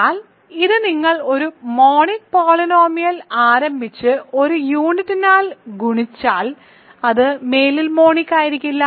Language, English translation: Malayalam, That means a field element, but it will you start with a monic polynomial and multiplied by a unit which is different from one it will no longer be monic